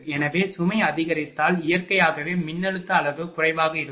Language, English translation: Tamil, So, if load increases then naturally voltage magnitude will be low